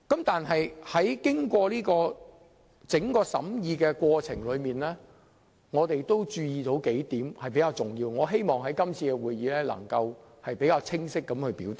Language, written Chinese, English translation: Cantonese, 在整個審議過程中，我們注意到有數點比較重要，我希望能在今次會議清晰表達。, In the whole process of deliberation we noted a few rather important points which I wish to expound on at this meeting